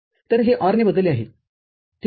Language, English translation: Marathi, So, this is replaced with OR, ok